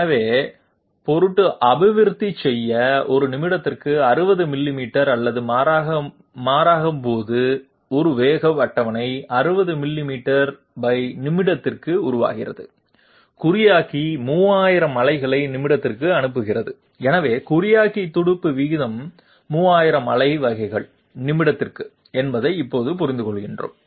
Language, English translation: Tamil, So in order to you know develop a speed of 60 millimeters per minute or rather when the table develops the 60 millimeters per minute, encoder sends 3000 pulses per minute, so now we understand that the encoder pulse rate is 3000 pulses per minute